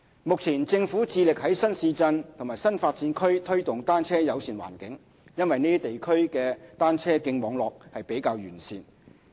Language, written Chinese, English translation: Cantonese, 目前，政府致力在新市鎮和新發展區推動"單車友善"環境，因為這些地區的單車徑網絡比較完善。, Currently the Government endeavours to foster a bicycle - friendly environment in new towns and new development areas given that the cycle track networks in these areas are more comprehensive